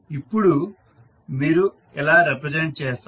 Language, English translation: Telugu, Now, how you will represent